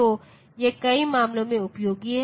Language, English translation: Hindi, So, that is useful in many cases